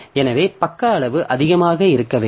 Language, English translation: Tamil, So page size should be high